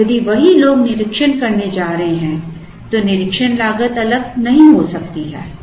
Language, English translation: Hindi, And, if the same people are going to do the inspection then the inspection cost cannot be different